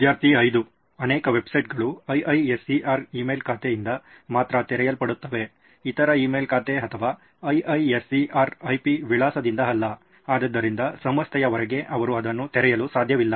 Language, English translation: Kannada, Many websites open by only IISER email account, not by other email account or IISER IP address, so outside of the institute they cannot open it